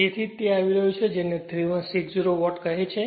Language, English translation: Gujarati, So, that is why it is coming your what you call 3160 watt right